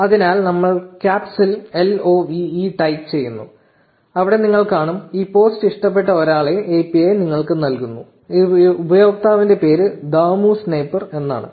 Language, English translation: Malayalam, So, we type L O V E in caps and there you see; the API gives you the one person who loved this post, the name of this user is Dhamu Sniper